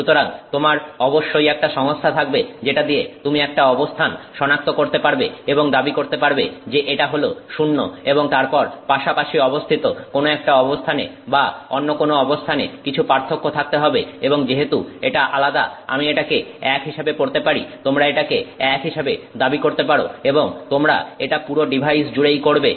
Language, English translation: Bengali, So, uh, you have to have a system by which you can identify a location and claim that it is zero and then something should be different about the adjacent location or some other location and you can claim that because it is different, I'm reading that as a one and this you do throughout the the device